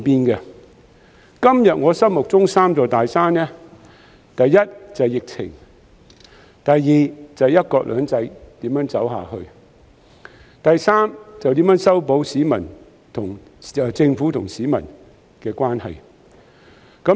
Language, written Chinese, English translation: Cantonese, 我今天心目中的三座大山，第一是疫情，第二是"一國兩制"如何走下去，第三就是如何修補政府與市民的關係。, Today the three big mountains in my mind are first the epidemic; second how one country two systems is going to move forward; and third how the Government is going to mend the relationship with the public